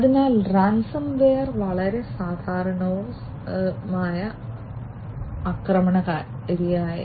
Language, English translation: Malayalam, So, ransom ware is a very common, common type of attacker, a common type of attack